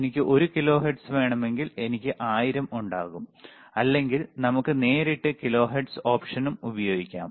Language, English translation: Malayalam, If I want to have one kilohertz, then I will have 1 and then 3 times 000, or we can directly use kilohertz option also